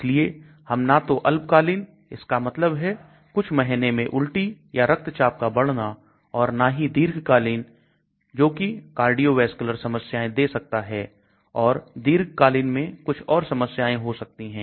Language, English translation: Hindi, So we do not want either short term that means within a few months may be vomiting or increase in blood pressure or long term it should not give cardiovascular problems or some other side effects in the long term